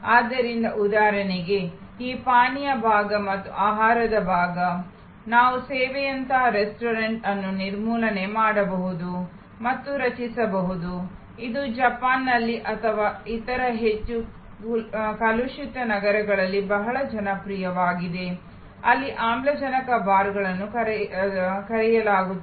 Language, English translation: Kannada, So, for example, this beverage part and food part, we can eliminate and create a restaurant like service, very popular in Japan or in other high polluted cities, there call oxygen bars